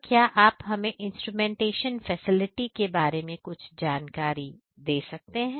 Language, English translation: Hindi, So, sir could you please explain about the instrumentation facility that you have in this plant